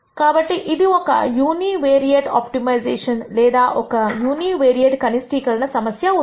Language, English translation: Telugu, So, this becomes a univariate optimization or a univariate minimization problem